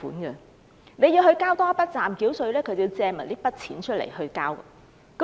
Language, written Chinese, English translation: Cantonese, 所以，要他們繳交暫繳稅，他們便要借更多錢來繳付。, Therefore they may need to borrow more money if they are required to pay provisional tax